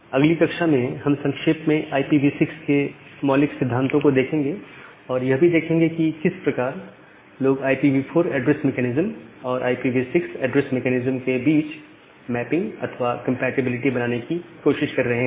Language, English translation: Hindi, So, in the next class, we will briefly look into the basic principles of IPv6 protocol and look in to the way people are trying to make a mapping or make a compatibility between the IPv4 addressing mechanism and the IPv6 addressing mechanism